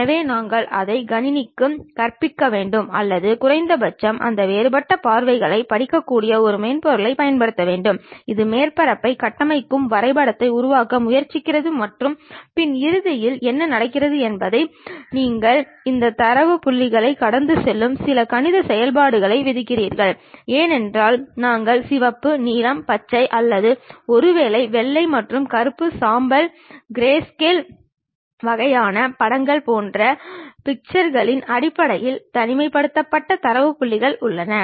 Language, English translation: Tamil, So, we have to teach it to computer or perhaps use a at least a software which can really read this different views try to map that construct the surface and the back end what happens is you impose certain mathematical functions which pass through this data points because we have isolated data points in terms of pixels like colors red, blue, green or perhaps white and black, grey grayscale kind of images and so on